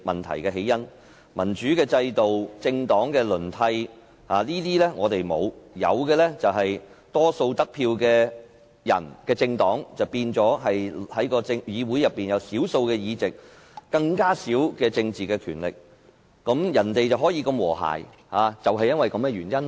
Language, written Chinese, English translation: Cantonese, 香港沒有民主制度，也沒有政黨輪替，有的只是獲得多數票的議員和政黨反而在議會內佔少數議席和很少政治權力，所以人家的國會如此和諧。, Hong Kong has not upheld a democratic system and political parties do not take turns to become the ruling party . Members and political parties that got a majority of votes conversely have taken up fewer seats and have few political powers in this Council . This explains why overseas parliaments are so harmonious